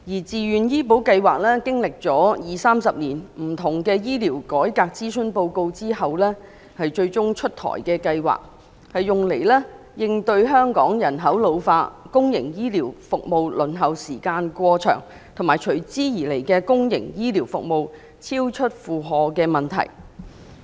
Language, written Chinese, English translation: Cantonese, 自願醫保計劃歷經二三十年醫療改革諮詢後終於出台，用以應對香港人口老化、公營醫療服務輪候時間過長，以及由此產生的公營醫療服務超出負荷的問題。, The Bill seeks to complement the Voluntary Health Insurance Scheme VHIS . After 20 to 30 years of consultation on health care reforms VHIS has finally been introduced to address Hong Kongs problems of population ageing excessively long waiting time for public health care services and the resultant overloading of public health care services